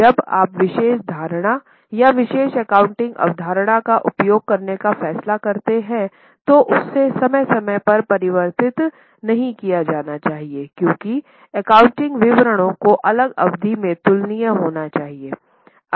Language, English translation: Hindi, Now once you decide to use a particular assumption or use a particular accounting concept that should demand be changed from period to period because accounting statements should be comparable from different period